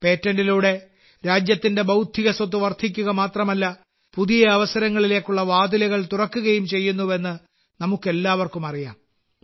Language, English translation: Malayalam, We all know that patents not only increase the Intellectual Property of the country; they also open doors to newer opportunities